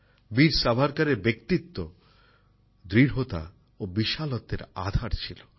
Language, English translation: Bengali, Veer Savarkar's personality comprised firmness and magnanimity